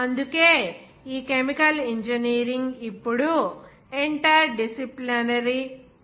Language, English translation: Telugu, So that is why this chemical engineering now days is the interdisciplinary profession